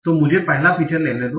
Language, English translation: Hindi, So let me take the first feature